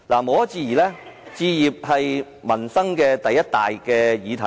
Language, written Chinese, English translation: Cantonese, 無可置疑，置業是民生的第一大議題。, Home ownership is undoubtedly the most important issue among all livelihood issues